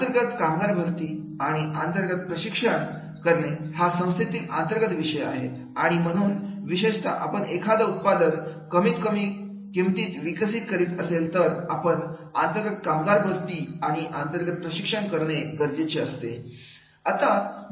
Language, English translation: Marathi, Internal staffing and in house training and that because it is an internal matter of the organization and therefore specifically we are developing about that particular product at the low price then it is required that is we go by the internal staffing and in house training